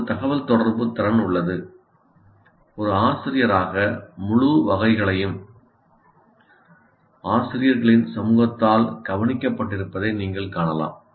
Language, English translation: Tamil, There is a communicative competence even as a teacher, you can find out the entire spectrum, very poor to very good, entire spectrum is covered by the community of teachers